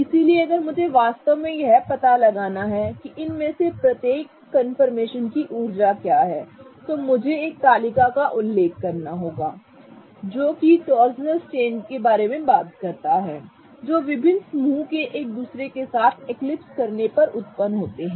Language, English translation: Hindi, So, if I really have to figure out what is the energy of each of these confirmations, I'll have to refer to a table that talks about the torsnal strains that arises because different groups eclipse with each other